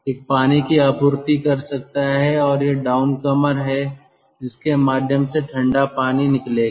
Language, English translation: Hindi, here one can give the feed water and this is the down comer through which cold water will come out